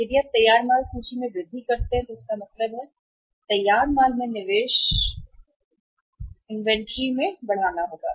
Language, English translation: Hindi, So if you increase the finished goods inventory it means investment in the finished goods inventory has to be increased